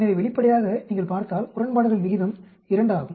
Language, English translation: Tamil, So obviously, if you look at the odds ratio 2